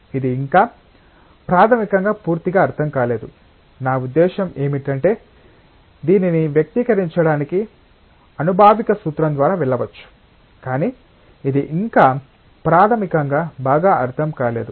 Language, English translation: Telugu, This is not yet fundamentally completely understood, I mean one can go through empirical formula to express this, but it is not yet fundamentally well understood